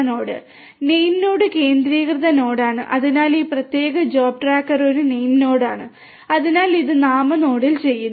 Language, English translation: Malayalam, The name node is centralized node so, this particular job tracker for example, is a name node right so, it is being done in the name node